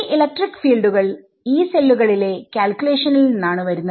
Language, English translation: Malayalam, So, these guys electric fields they are coming from the calculation from the Yee cells